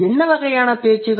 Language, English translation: Tamil, So what kind of a discourse